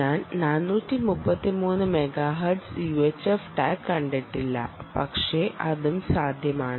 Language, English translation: Malayalam, or four, thirty three megahertz u h f tags, but yeah, that is also possible